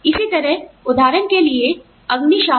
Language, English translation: Hindi, Similarly, firefighters, for example